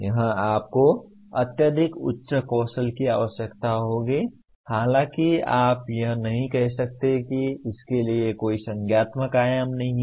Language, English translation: Hindi, Here you require extremely high end skills though you cannot say that there is no cognitive dimension to this